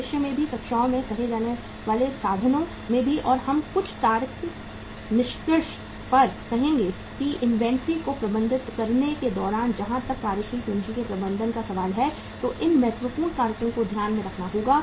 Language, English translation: Hindi, Also in the means say in the in the classes in future also and we will arrive on a some some say logical conclusion that what important factors have to be borne in mind while managing the inventory as far as the management of the working capital is concerned